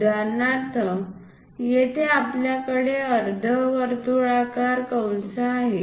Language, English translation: Marathi, For example, here we have a semi circular arc